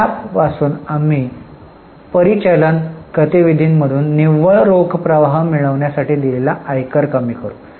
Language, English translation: Marathi, From that we reduce income tax paid to finally get net cash flow from operating activities